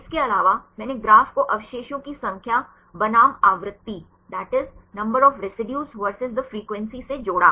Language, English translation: Hindi, Also I showed the graph connecting the number of residues versus the frequency